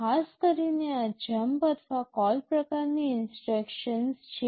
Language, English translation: Gujarati, Typically these are jump or call kind of instructions